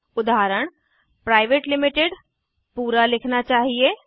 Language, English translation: Hindi, Private Limited should be written in full